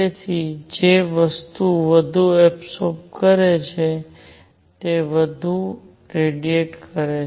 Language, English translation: Gujarati, So, something that absorbs more will also tend to radiate more